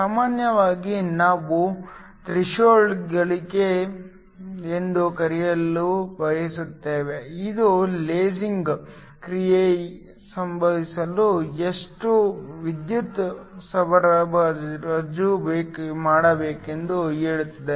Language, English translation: Kannada, Usually we like to define something called Threshold gain, which tells you how much current you need to supply in order for lasing action to occur